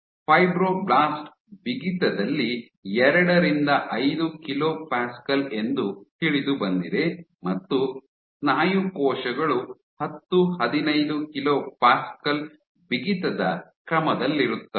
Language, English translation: Kannada, Fibroblast is known to be 2 5 kilo Pascal in stiffness while muscle cells this is order 10 15 kPa in stiffness